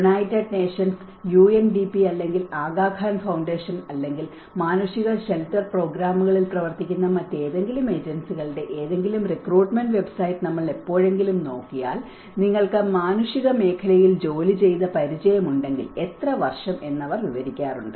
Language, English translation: Malayalam, If we ever look at any recruitment website of United Nations, UNDP or Aga Khan Foundation or any other agencies who are working on the humanitarian shelter programs, they often describe that if you have an experience working in the humanitarian sector, how many years